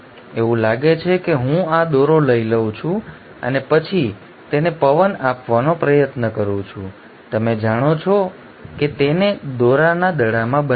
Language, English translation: Gujarati, It is like I take this thread and then try to wind it and you know form it into a ball of thread